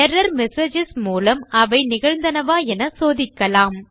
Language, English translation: Tamil, You can use the error messages to check if it has occurred or hasnt occurred